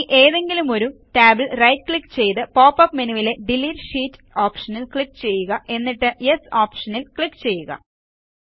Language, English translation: Malayalam, Now right click over one of the tabs and click on the Delete Sheet option from the pop up menu and then click on the Yes option